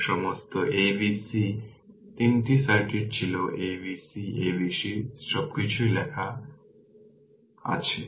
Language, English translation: Bengali, So, all the all the all the all the a b c 3 circuits were there a b c, a b c everything is written here